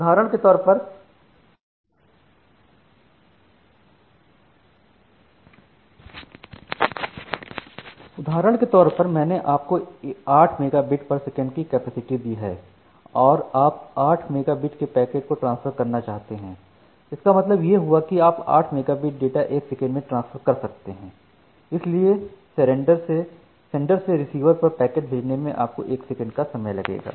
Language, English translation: Hindi, And the example, that I have given if your capacity of 8 megabit per second and you are going to transfer 8 megabit of packet, that means, you can transfer that 8 megabit data for 1 second